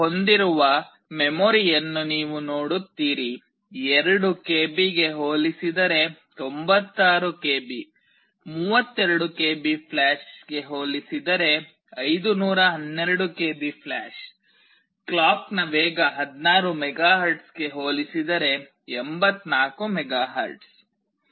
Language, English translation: Kannada, You see the kind of memory it is having; 96 KB compared to 2 KB, 512 KB of flash compared to 32 KB of flash, clock speed of 84 megahertz compared to clock speed of 16 megahertz